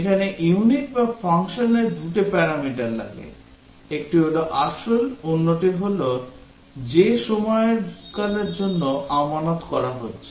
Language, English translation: Bengali, Here, the unit or the function takes two parameters; one is the principal and other is the period for which the deposit is being made